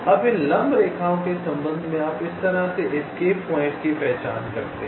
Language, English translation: Hindi, now, with respect to these perpendicular lines, you identify escape point like this: you see this line s one